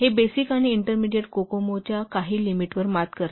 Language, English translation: Marathi, It overcome some of the limitations of basic and intermediate Kokomo